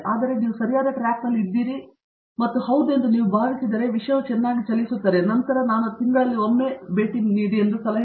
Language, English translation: Kannada, So that, you are sure that you are on the right track and once you feel yes, you got a hold on the thing, that things are moving well and then possibly you know I would suggest at least once in a month